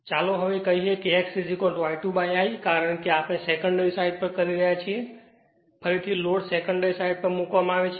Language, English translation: Gujarati, So, now let us say x is equal to I 2 upon I because, we are doing on the secondary side because reload is placed on the your secondary side right